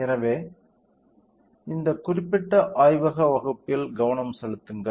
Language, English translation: Tamil, So, focus on this particular lab class